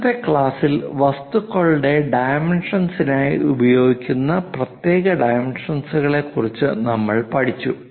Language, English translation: Malayalam, In today's class we have learnt about these special dimensions for dimensioning of objects